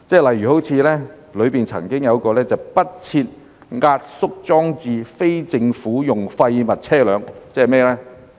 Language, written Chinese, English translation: Cantonese, 例如當中曾經出現"不設壓縮裝置非政府用廢物車輛"，即是甚麼呢？, For example the term waste vehicle in private use was once used in the Bill and what is it?